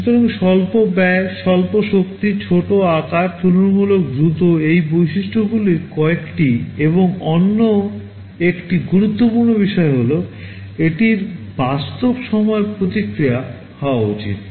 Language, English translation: Bengali, So, low cost, low power, small size, relatively fast these are some of the characteristics, and another important thing is that it should have real time response